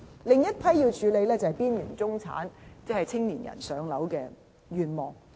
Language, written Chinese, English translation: Cantonese, 另一群要處理的是邊緣中產人士和青年人的"上樓"願望。, Separately we must deal with another group of households that is the aspiration of home ownership of the marginal middle class and young people